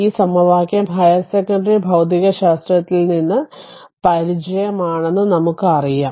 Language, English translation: Malayalam, So, this is known to us this equation you are familiar with these from your higher secondary physics